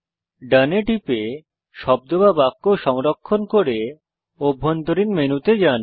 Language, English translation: Bengali, Lets click DONE to save the word or sentence and return to the Internal menu